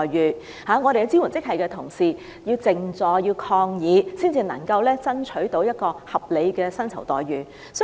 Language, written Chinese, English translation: Cantonese, 醫管局的支援職系人員必須靜坐抗議，才能爭取合理的薪酬待遇。, Supporting staff of HA had to stage a sit - in protest in order to fight for reasonable remuneration packages